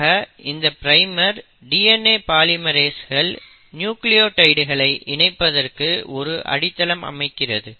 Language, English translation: Tamil, So this primer now acts as the base on which the DNA polymerase can start adding the nucleotides